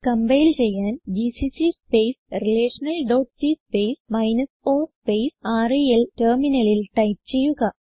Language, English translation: Malayalam, To compile, type the following on the terminal gcc space relational dot c space o space rel Press Enter